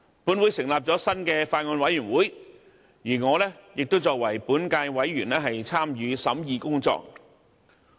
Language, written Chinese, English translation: Cantonese, 本會成立了新的法案委員會，而我亦作為本屆委員參與審議工作。, A new Bills Committee is formed and being a member of the Bills Committee I have participated in the scrutiny of the Bill